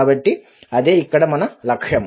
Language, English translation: Telugu, So that is the objective here